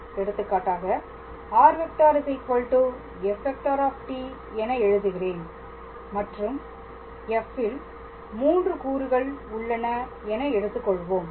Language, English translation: Tamil, So, for example, for that circle case I can write r is equals to f t and f has 3 components